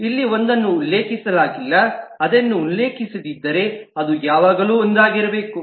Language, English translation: Kannada, if it is not mentioned, then it is meant to be one always